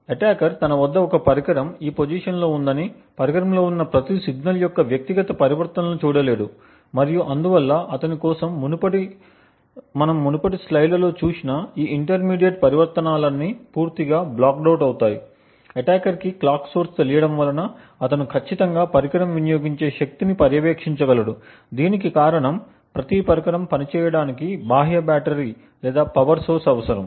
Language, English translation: Telugu, An attacker assuming that he has a device in this position would not be able to look at individual transitions of every signal that is present within the device and therefore for him all of these intermediate transitions which we have seen in the previous slide is completely blacked out, what the attacker would have is possibly a source for the clock he would definitely be able to monitor the power consumed by the device, this is possibly because every device requires an external battery or power source for it to function